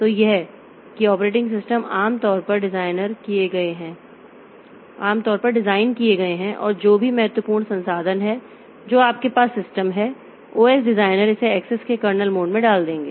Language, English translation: Hindi, So, whatever critical resources that you have in the system, the OS designer, so they will put it into the kernel mode of access